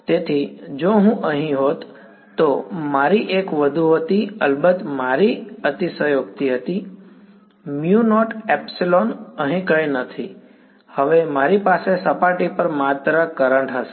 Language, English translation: Gujarati, So, if I were to this was my one more here right this is my exaggerated of course, mu naught epsilon naught over here, now I am going to have only currents on the surface right